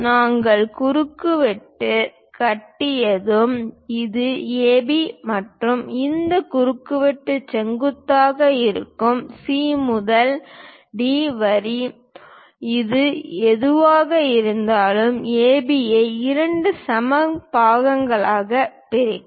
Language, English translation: Tamil, Once we construct CD; it is a perpendicular line to AB and also this CD line; C to D line, whatever this is going to bisect AB into two equal parts